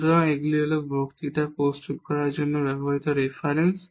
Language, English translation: Bengali, So, these are the references used for preparing the lectures